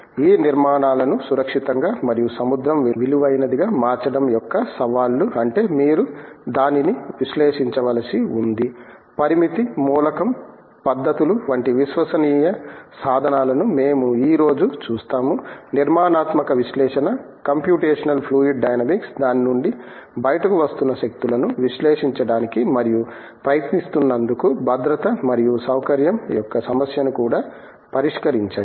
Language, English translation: Telugu, The challenges of making this structures safe and sea worthy means you have to analyse it, you see today what we have trusted tools like finite element methods, for the structural analysis computational fluid dynamics for analysing the forces that are coming out of it and trying to address the problem of safety and comfort also